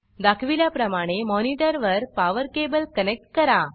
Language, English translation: Marathi, Connect the power cable to the monitor, as shown